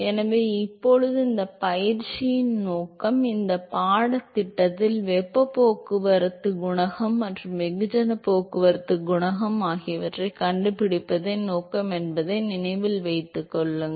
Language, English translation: Tamil, So, now, the purpose of all this exercise, remember that in this course the purpose is to find the heat transport coefficient and the mass transport coefficient